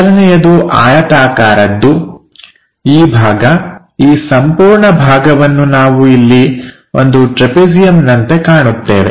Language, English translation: Kannada, So, the first one will be rectangle this part, this entire part we will see it here like a trapezium